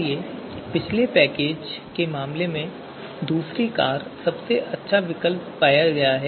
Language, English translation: Hindi, So in this second car second car was found to be the best one